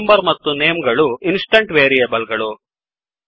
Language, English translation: Kannada, roll number and name are the instance variables